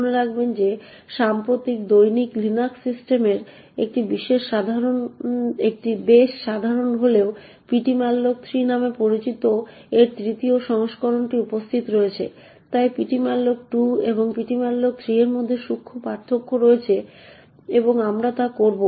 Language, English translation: Bengali, So let us look a little more in detail about ptmalloc2 note that while this is quite common in most recent daily Linux systems the 3rd version of that which is known as ptmalloc3 is also present, so there are subtle differences between ptmalloc2 and ptmalloc3 and we would not go into the details of these differences